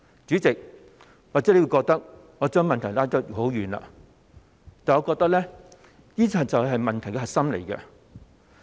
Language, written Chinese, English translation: Cantonese, 主席，或許你會覺得我將話題扯到很遠，但我認為這就是問題的核心。, President perhaps you may think that I have digressed far from the subject but I think this is precisely the nub of the problems